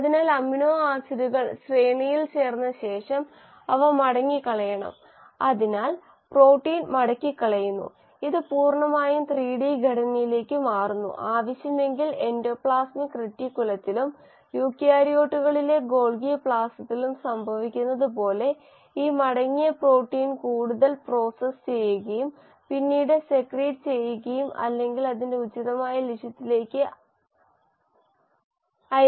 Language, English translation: Malayalam, So after the amino acids have joined in the range, they have to be folded, so protein folding happens and this gets completely into a 3 D structure and if further required as it happens in endoplasmic reticulum and the Golgi complex in eukaryotes this folded protein will get further processed and then secreted or sent to its appropriate target